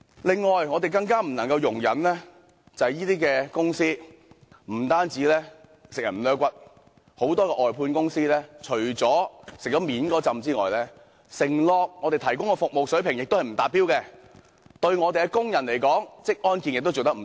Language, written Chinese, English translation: Cantonese, 此外，我們更不能容忍這些公司不單極盡剝削之能事，很多外判公司在獲取表面的利益之餘，向我們承諾提供的服務水平卻不達標，而對工人的職安健工作亦做得不足。, In addition we also cannot tolerate such companies which do not just exploit employees in every single way . While reaping their essential benefits a number of outsourcing companies have failed to meet the service standards pledged to us and their measures for ensuring occupational safety and health of workers are also inadequate